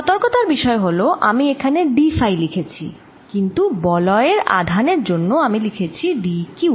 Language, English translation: Bengali, the word of caution is that i have written this d phi out here, but d q for d q